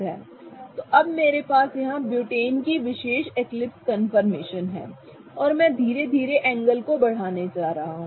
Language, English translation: Hindi, So, now what I have here is the representation of this particular eclipsed conformation of butane and I am going to slowly increase the angle